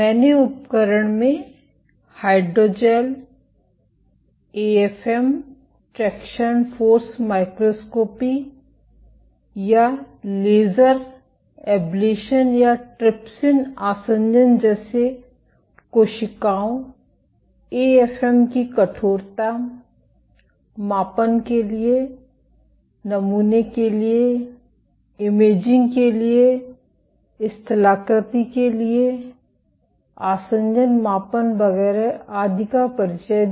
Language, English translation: Hindi, Among the tools I introduced Hydrogels, AFM, assays like traction force microscopy, or laser ablation, or trypsin the adhesion for proving the contractility of cells AFM for measuring stiffness, of samples, for imaging, topography, for also doing adhesion measurements etcetera